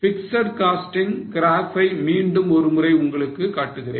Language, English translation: Tamil, I'll just show you the fixed cost graph once again